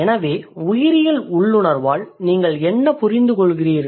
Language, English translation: Tamil, So, what do you understand by biological instinct